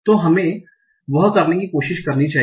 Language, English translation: Hindi, So, let us try to do that